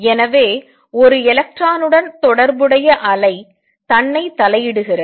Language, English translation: Tamil, So, the wave associated with a single electron interferes with itself